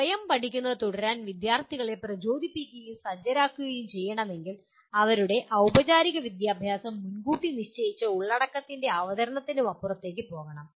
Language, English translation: Malayalam, If students are to be motivated and equipped to continue teaching themselves their formal education must go beyond presentation of predetermined content